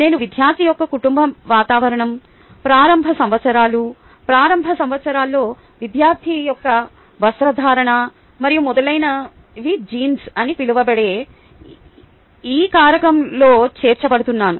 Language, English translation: Telugu, i am going to include the family environment of the student, ok, the early years, the grooming of the student in early years, and so on in this factor called genes